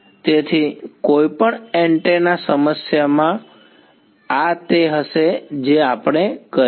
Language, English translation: Gujarati, So, in any antenna problem this is going to be what we will do